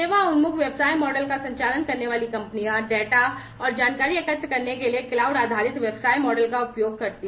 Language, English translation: Hindi, Companies operating a service oriented business model employee cloud based business models to gather data and information